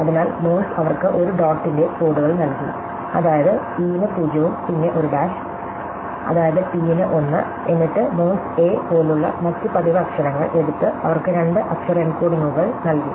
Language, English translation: Malayalam, So, Morse assigned them codes of a dot, that is 0 for e and a dash, that is 1 for t, then a Morse took other frequent letters, such as a and gave them two letter encodings